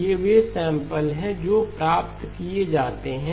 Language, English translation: Hindi, These are the samples that are obtained